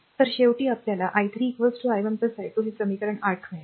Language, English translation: Marathi, So, it will finally, become i 3 is equal to i 1 plus i 2 this is equation 8